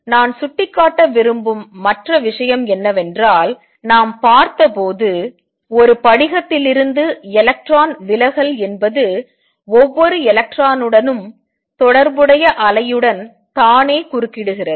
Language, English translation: Tamil, Other thing which I wish to point out is that when we looked at electron diffraction from a crystal it is the wave associated with each electron that interferes with itself